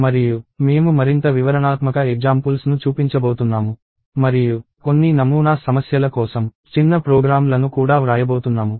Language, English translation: Telugu, And I am going to show more detailed examples and also write small programs for some sample problems